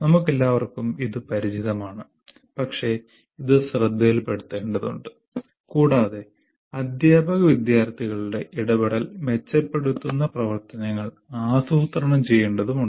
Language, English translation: Malayalam, These are not some things that we are not, we are all familiar with this, but it has to be brought into focus and we have to plan activities that enhances the teacher student interaction